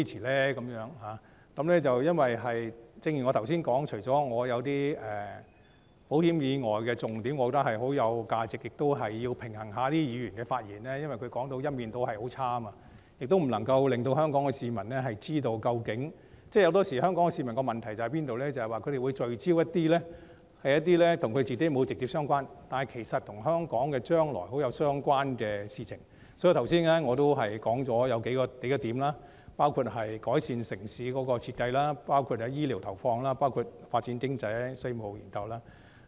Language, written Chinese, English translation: Cantonese, 正如我剛才所說，我除了覺得一些保險以外的重點很有價值外，亦要平衡一下議員的發言，因為他們一面倒地作出負面批評，不能夠讓香港市民知道究竟......香港市民往往聚焦於一些與自己不直接相關、但與香港將來息息相關的事情，所以我剛才指出了數點，包括改善城市設計、醫療投放、發展經濟、稅務研究。, As I said earlier apart from the fact that some of the key points other than insurance are valuable I should also balance the speeches made by Members because their one - sided negative comments fail to let Hong Kong people to know exactly Hong Kong people are often focused on matters that are not directly related to themselves but rather inextricably related to the future of Hong Kong so I have just raised a few points including improvement of urban design health care investment economic development and tax studies